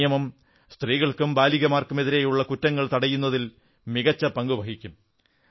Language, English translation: Malayalam, This Act will play an effective role in curbing crimes against women and girls